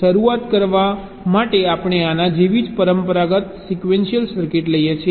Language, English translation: Gujarati, we take a conventional sequential circuit just like this to start with